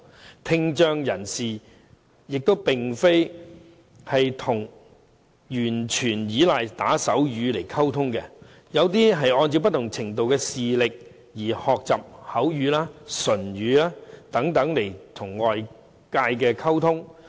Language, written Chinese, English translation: Cantonese, 而聽障人士也並非完全依賴打手語來溝通，有些人會按不同程度的聽力而學習口語和唇語等與外界溝通。, Moreover people with hearing impairment do not rely solely on sign language for communication . Some of them will depending on their levels of hearing loss learn spoken language and lip - reading for communication with the outside world